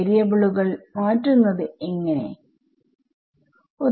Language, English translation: Malayalam, How to do change of variables right